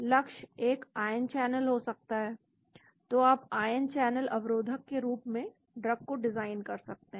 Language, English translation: Hindi, Target could be an ion channel so you could be designing drugs as ion channel blocker